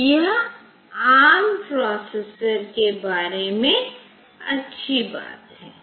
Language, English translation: Hindi, So, that is the good thing about this ARM processor